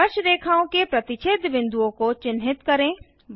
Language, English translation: Hindi, Mark points of contact of the tangents